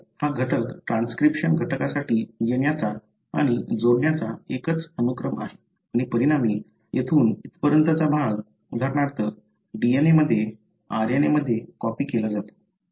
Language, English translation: Marathi, So, this element is nothing but a signal sequence for certain transcription factors to come and bind and as a result, the region from here to here, for example in the DNA, is copied into an RNA